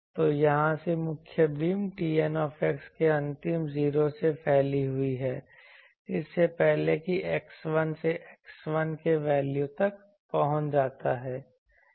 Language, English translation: Hindi, So, from here, up to that let us say this point so, the main beam extends from the last 0 of T n x before x reaches the value of 1 up to x 1